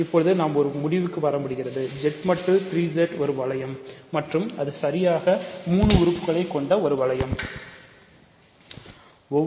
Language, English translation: Tamil, So, Z mod 3 Z is a ring and it is a ring with exactly 3 elements